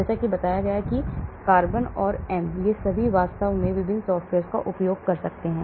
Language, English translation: Hindi, As I said C or M, they are all using different software actually